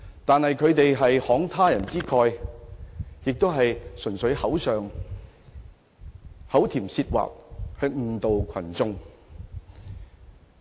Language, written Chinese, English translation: Cantonese, 但是，他們是慷他人之慨，純粹口甜舌滑誤導群眾。, Nevertheless those people were purely sweet talking to mislead the crowd in their pursuit of personal interests